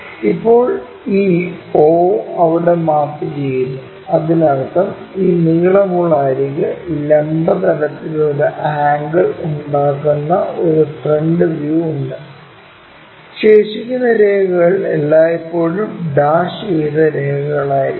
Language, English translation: Malayalam, Now, this o maps to there join that that means, we have a front view where this longer edge makes an angle with the vertical plane, and the remaining lines it will always be dashed lines